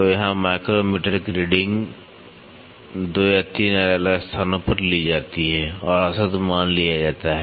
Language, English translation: Hindi, So, here the micrometer is readings are taken at 2 or 3 different locations and the average value is taken